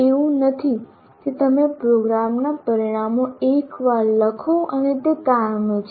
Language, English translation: Gujarati, So it is not as if you write the program outcomes once and they are permanent